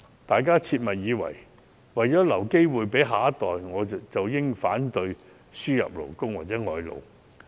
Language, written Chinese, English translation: Cantonese, 大家切勿以為為了留機會給下一代，便應反對輸入勞工。, Please do not think we can secure jobs for the next generation by opposing THE importation of labour